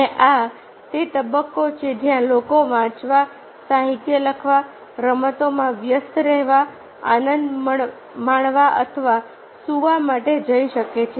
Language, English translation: Gujarati, and this is the stage where people may go for reading, write literature, engage in games, marry, making or go for sleeping